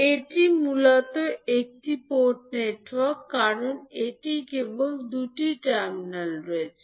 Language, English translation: Bengali, So, this is basically a one port network because it is having only two terminals